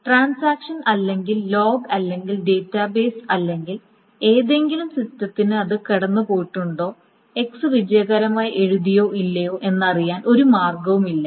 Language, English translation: Malayalam, Now the transaction or the log or the database or any system has no way of knowing whether it has gone through the X has been written successfully or not